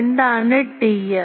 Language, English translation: Malayalam, And what is T m